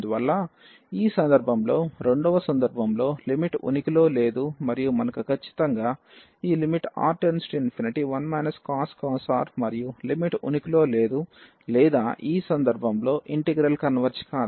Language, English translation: Telugu, So, therefore, in this case the second case the limit does not exist and we have precisely this limit 1 minus cos R and the limit does not exist or the integral does not converge in this case